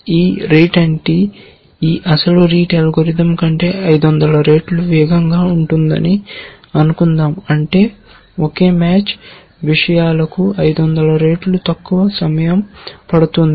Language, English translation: Telugu, This rete NT is suppose to be 500 times faster than these original rete algorithm, which means it takes 500 times less time to the same match essentially